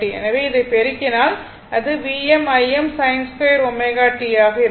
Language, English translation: Tamil, So, if you multiply this, it will be V m I m sin square omega t right